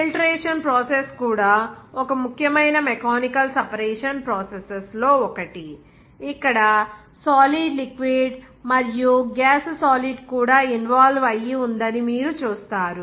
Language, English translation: Telugu, The filtration process is also one of the important mechanical separation processes, where you will see that solid liquid involved there even gas solid is also involved there